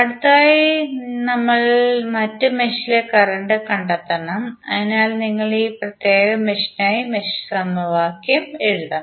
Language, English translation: Malayalam, We have to next find out the current in other mesh, so you have to just write the mesh equation for this particular mesh